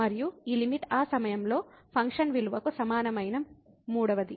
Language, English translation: Telugu, And the third one that this limit is equal to the function value at that point